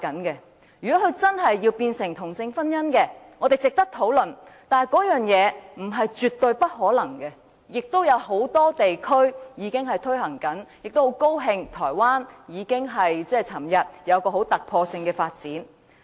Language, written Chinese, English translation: Cantonese, 如果真的有同性婚姻，我們值得討論，但並不等於絕無可能，因為很多地區已正在推行，我亦很高興台灣昨天出現突破性的發展。, If there is really same - sex marriage it is worthy of discussion and it is not absolutely out of the question because it is implemented in many places . I am glad to see the breakthrough made in its development in Taiwan yesterday